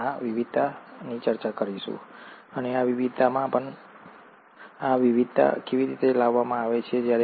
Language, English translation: Gujarati, We’ll discuss this variation, and even in this variation, how are these variations brought about